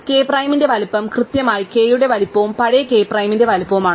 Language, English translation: Malayalam, So, size of k prime is exactly size of k plus the old size of k prime